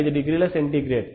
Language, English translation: Telugu, 5 degree centigrade